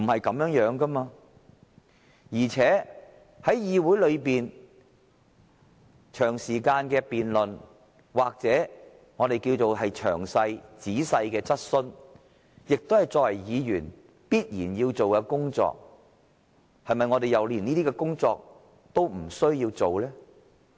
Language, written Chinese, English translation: Cantonese, 況且，在議會內長時間辯論或詳細的質詢，亦是我們作為議員必須履行的職責，我們是否連這些工作也不需要做？, Moreover it is a duty required of us as Members to conduct long debates or ask questions in detail in this Council . Is it that we do not even need to discharge these duties?